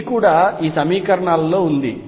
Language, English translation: Telugu, It is also in these equations